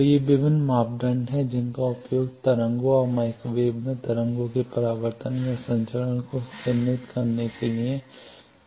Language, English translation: Hindi, So, these are various parameters used to characterize either reflection or transmission of waves at waves and microwave